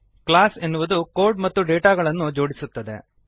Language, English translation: Kannada, Class links the code and data